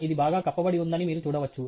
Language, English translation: Telugu, You can see that it is fairly well covered